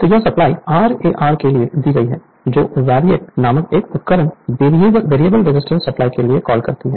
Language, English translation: Hindi, So, this supply is given for an your what you call for an instrument called VARIAC, variable resistance supply